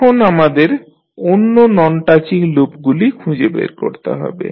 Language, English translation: Bengali, Now, next we need to find out the other non touching loops